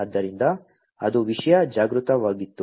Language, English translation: Kannada, So, that was content aware